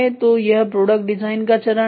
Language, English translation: Hindi, So, this is product design step ok